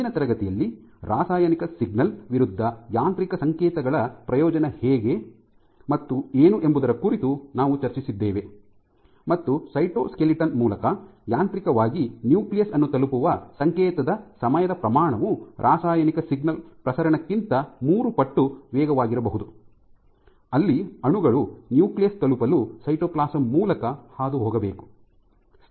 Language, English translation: Kannada, We also touched upon in last class how this you know the what is the benefit of mechanical signals versus a chemical signal, and the time scale of a signal reaching the nucleus mechanically that is via the cytoskeleton can be three orders of magnitude faster than chemical signal propagation, where the molecules have to diffuse through the cytoplasm to reach the nucleus